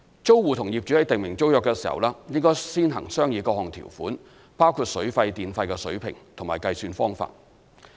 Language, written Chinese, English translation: Cantonese, 租戶與業主在訂定租約時，應先行商議各項條款，包括水費和電費的水平及計算方法。, Tenants should first negotiate with landlords various terms including the electricity tariff and calculation method before drawing up the tenancy agreement